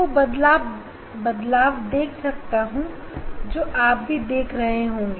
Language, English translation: Hindi, I can see the change you see